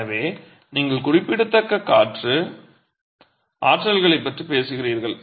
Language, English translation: Tamil, So, you are talking of significant wind forces